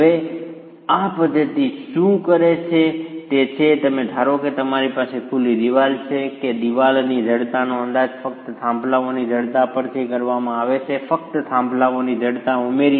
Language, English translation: Gujarati, Now, what this method does is you assume you have a wall with openings that the stiffness of the wall is estimated merely from the stiffnesses of the peers by just simply adding up the stiffnesses of the peers